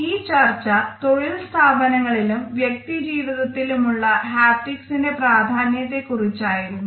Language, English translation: Malayalam, So, this discussion of haptics tells us of it is significance in the workplace, in our personal life also